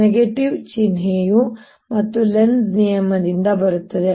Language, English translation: Kannada, this minus sign again comes because of lenz's is law